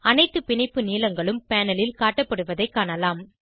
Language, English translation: Tamil, We can see on the panel all the bond lengths are displayed